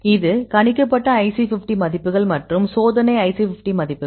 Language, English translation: Tamil, This is the predicted IC50 values; so this is experimental IC50 values